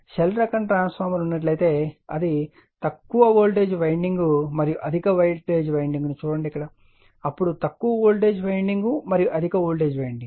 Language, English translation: Telugu, And if the shell type transformer is there if you look into that you will find low voltage winding and high voltage winding, then low voltage winding and high voltage winding, right,